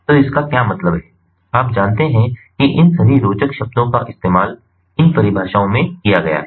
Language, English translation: Hindi, so what it means, you know all these fancy words have been used in these definitions